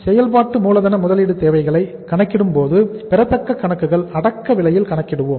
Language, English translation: Tamil, While calculating the working capital investment requirements we will count the accounts receivables at the cost price